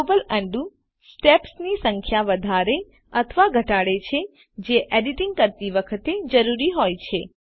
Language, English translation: Gujarati, Global undo increases/decreases the number of undo steps that might be required while editing